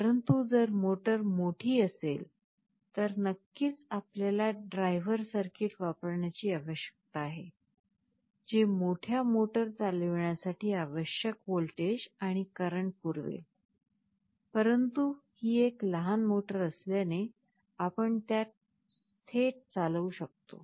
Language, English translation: Marathi, But, if it is a larger motor, of course you need to use a driver circuit, which can supply the required voltage and current to drive the larger motor, but this being a small motor we can drive it directly